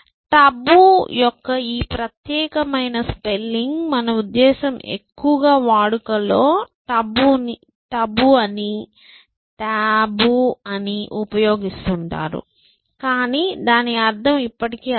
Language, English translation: Telugu, So, this particular spelling of tabu I mean, we are more use to taboo t a b o o, but it the meaning is still the same